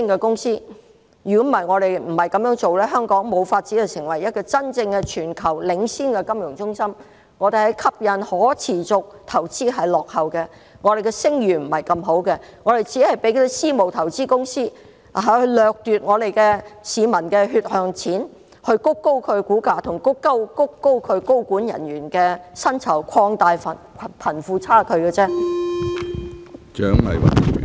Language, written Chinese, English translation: Cantonese, 我們若不這樣做，香港便無法成為真正全球領先的金融中心，我們在吸引可持續投資方面落後，我們的聲譽並不太好，我們任由私募投資公司掠奪市民的血汗錢，以推高其股價和其高管人員的薪酬，擴大貧富差距。, If we do not do so Hong Kong will never become a genuine leading international financial centre in the world as we lag behind in attracting sustainable investment our reputation is not particularly good and we allow private equity investment companies to rip people off and drive up their share prices and salaries of their senior management which in turn widens the wealth disparity